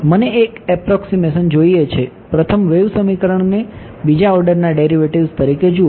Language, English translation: Gujarati, I want an approximation see the first the wave equation as second order derivatives